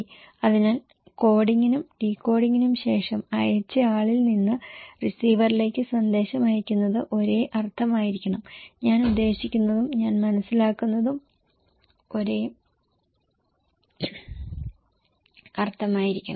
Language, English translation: Malayalam, So, sending the message from sender to receiver after coding and decoding should be same meaning, what I want to mean and what I understand should be same